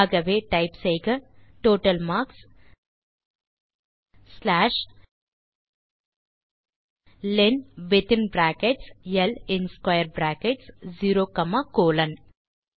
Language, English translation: Tamil, So type total marks slash len within brackets L in square brackets 0 comma colon